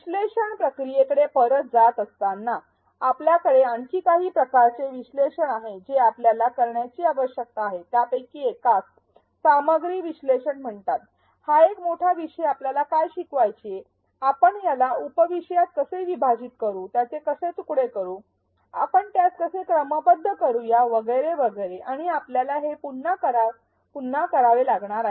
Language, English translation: Marathi, Going back to the analyze process we have a couple of more types of analysis that we need to do, one of them is called content analysis what to teach if it is a large topic, how do we break it up into sub topic, how do we chunk it, how do we sequence it and so on and we have to do this over and over again